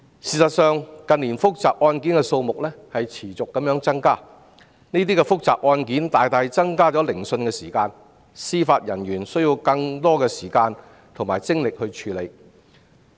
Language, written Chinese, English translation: Cantonese, 事實上，近年複雜案件的數目持續地增加，這些複雜案件大大增加聆訊的時間，司法人員需要花更長時間及更多精力來處理這些案件。, Complexity of court cases should also be taken into account . An increasing number of complicated cases in recent years has significantly lengthened the hearing time costing Judicial Officers more efforts to deal with such time - consuming cases